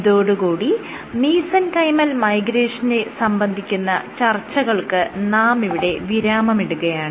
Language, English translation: Malayalam, So, this concludes our discussion of mesenchymal migration